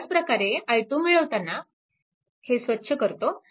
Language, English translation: Marathi, Now, similarly i 2 is equal to i 2 is here